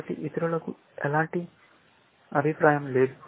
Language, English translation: Telugu, So, others, do not have an opinion